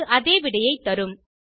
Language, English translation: Tamil, It gives the same result